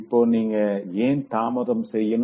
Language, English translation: Tamil, Now, why and why shouldn't you delay